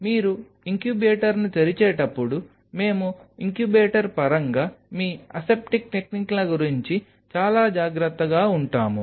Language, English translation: Telugu, While your opening the incubator we very ultra careful about your aseptic techniques in terms of the incubator